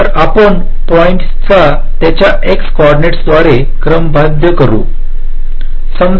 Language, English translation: Marathi, so we sort the points by their x coordinates